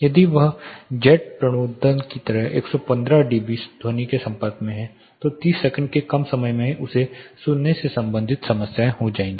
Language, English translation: Hindi, If he is exposed to 115 dB sound like jet propulsion, less than 30 seconds he will be having hearing related problems